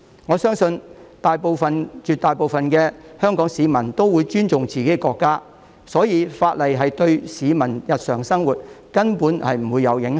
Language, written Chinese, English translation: Cantonese, 我相信絕大部分香港市民都會尊重自己的國家，所以法例對市民日常生活根本沒有影響。, I believe that most Hong Kong people respect their own country so the law virtually will not affect the daily life of the public